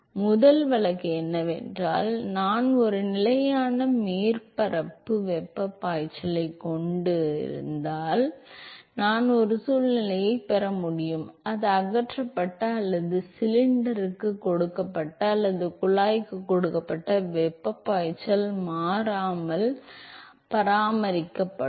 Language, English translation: Tamil, So, first case would be, case one would be I have a constant surface heat flux, so I can have a situation, where the flux of heat that is either removed or given to the cylinder or given to the tube is maintained constant